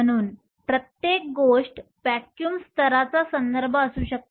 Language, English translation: Marathi, So, everything can be reference to the vacuum level